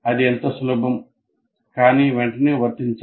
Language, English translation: Telugu, But it should be immediately applied